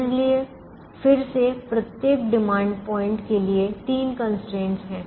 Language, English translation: Hindi, so again, there are three constraints, one for each demand point